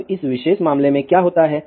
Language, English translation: Hindi, Now, in this particular case, what happens